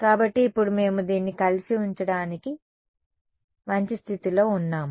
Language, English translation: Telugu, So, now, we are in a good position to put this together